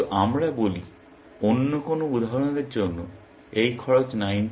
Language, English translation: Bengali, But let us say, for some other example, this cost was 90 and this cost was 20